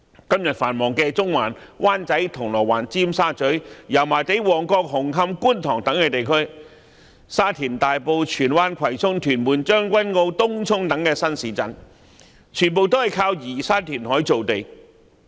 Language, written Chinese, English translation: Cantonese, 今天繁忙的中環、灣仔、銅鑼灣、尖沙咀、油麻地、旺角、紅磡和觀塘等地區，以及沙田、大埔、荃灣、葵涌、屯門、將軍澳和東涌等新市鎮，全皆是依靠移山填海造地。, The bustling districts today including Central Wan Chai Causeway Bay Tsim Sha Tsui Yau Ma Tei Mong Kok Hung Hom and Kwun Tong and also such new towns as Sha Tin Tai Po Tsuen Wan Kwai Chung Tuen Mun Tseung Kwan O and Tung Chung are all developed on land created through flattening of mountains and reclamation